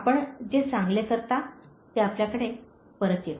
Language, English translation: Marathi, The good you do, comes back to you